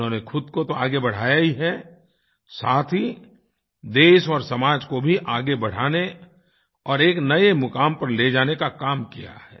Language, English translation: Hindi, Not only has she advanced herself but has carried forward the country and society to newer heights